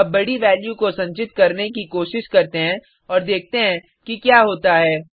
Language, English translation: Hindi, Let us try to store a large value and see what happens